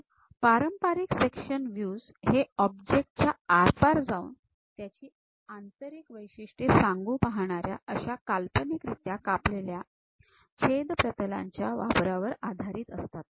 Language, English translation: Marathi, So, traditional section views are based on the use of an imaginary cut plane that pass through the object to reveal interior features